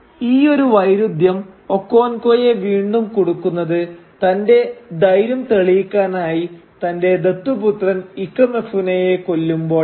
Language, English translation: Malayalam, Now this kind of contradiction again undoes Okonkwo when he kills his adopted son, Ikemefuna and he does that to prove his courage